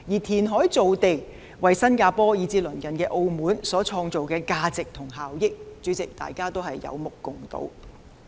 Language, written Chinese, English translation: Cantonese, 填海造地為新加坡以至鄰近的澳門所創造的價值及效益，是大家有目共睹的。, The value and benefits created by reclamation for Singapore and the neighboring Macao are obvious to all